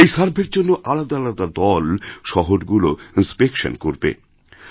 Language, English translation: Bengali, Separate teams will go to cities for inspection